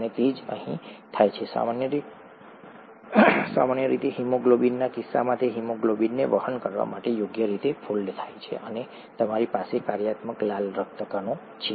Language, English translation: Gujarati, And that is what happens here, in the case of normal haemoglobin it folds properly to carry haemoglobin and you have a functional red blood cell